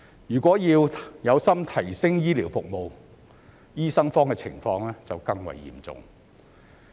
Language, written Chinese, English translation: Cantonese, 如果是有心提升醫療服務，醫生荒的情況就更為嚴重。, If the Government is determined to improve healthcare services the shortage of doctors will be even more serious